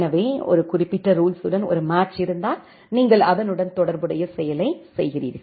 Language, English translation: Tamil, So, if there is a match with a specific rule, then you execute the corresponding action